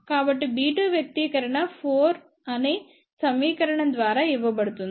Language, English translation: Telugu, So, b 2 expression is given by the equation number 4